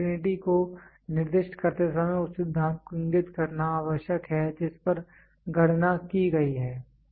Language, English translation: Hindi, When specifying the uncertainty it is necessary to indicate the principle on which the calculation has been made